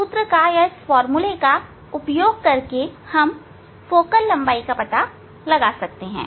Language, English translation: Hindi, now, using this formula we can hand out the focal length